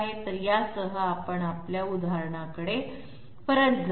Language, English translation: Marathi, So with this one let s move right back into our example